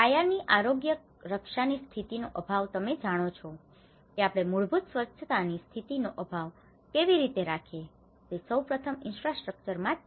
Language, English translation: Gujarati, Lack of basic hygiene conditions, you know so one is first of all in the infrastructure itself how we lack the basic hygiene conditions